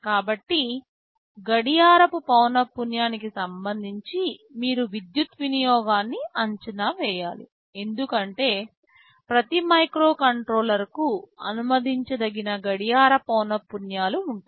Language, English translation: Telugu, So, you should estimate the power consumption with respect to the clock frequency, we are using because every microcontroller has a range of permissible clock frequencies